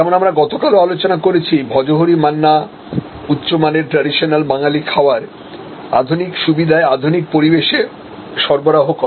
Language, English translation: Bengali, So, we also discussed yesterday, Bhojohori Manna a specialised high quality Bengali cuisine offered in modern ambiance, traditional food in modern ambiance in modern facilities